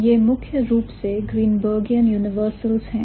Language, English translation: Hindi, So, these are primarily Greenbergian universals